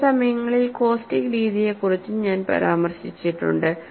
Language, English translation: Malayalam, At times, I have also mentioned about the method of caustics